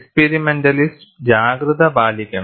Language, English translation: Malayalam, Experimentalists have to be alert